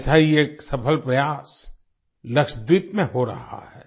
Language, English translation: Hindi, One such successful effort is being made in Lakshadweep